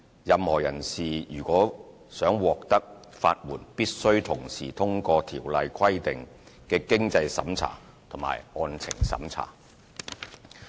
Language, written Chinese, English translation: Cantonese, 任何人士如欲獲得法援，必須同時通過該條例規定的經濟審查及案情審查。, Any person who seeks to apply for legal aid should satisfy the means and merits tests stipulated under the Ordinance